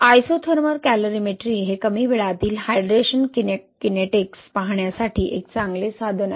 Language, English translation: Marathi, Again, so this isothermal calorimetry is a good tool to look into this early age hydration kinetics, right